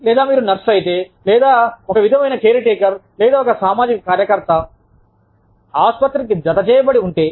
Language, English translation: Telugu, Or, if you are a nurse, or some sort of a caretaker, or a social worker, attached to a hospital